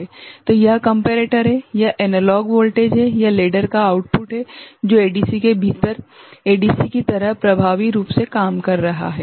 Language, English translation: Hindi, So, this is the comparator, this is the analog voltage, this is the output of the ladder, which is effectively working like ADC within a ADC right